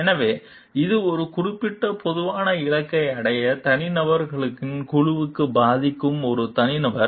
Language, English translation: Tamil, So, it is an individual who influences a group of individuals to reach a particular common goal